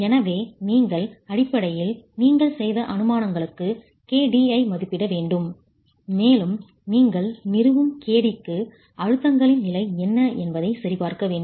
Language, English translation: Tamil, So you basically need to estimate kd for the assumptions that you have made and for the kd that you establish you want to check what the state of stresses are